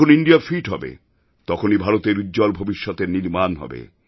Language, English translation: Bengali, When India will be fit, only then India's future will be bright